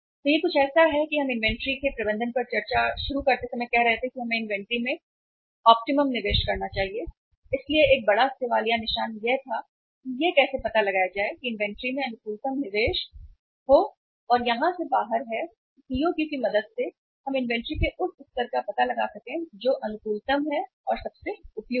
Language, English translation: Hindi, So this is something like that we were talking about while say started discussion on the management of inventory that we should make optimum investment in the inventory so a big question mark was how to find out that optimum investment in the inventory and here the way out is that with the help of EOQ we can find out that level of inventory which is optimum, which is most appropriate